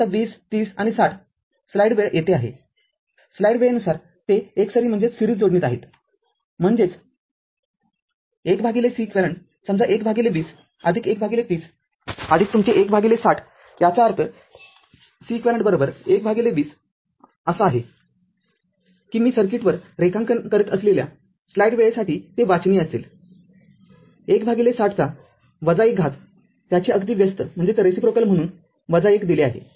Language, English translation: Marathi, Now 20 30 and 60 you here what you call they are in series; that means, 1 upon Ceq say is equal to 1 upon 20 plus 1 upon 30 plus your 1 upon 60; that means, Ceq is equal to 1 upon 20 hope it is readable for you I am drawing on the circuit, 1 upon 60 to the power minus 1 just reciprocal of that that is why minus 1 is given right